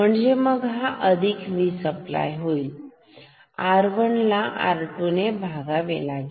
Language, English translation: Marathi, So, it becomes plus V supply R 1 and divided by R 2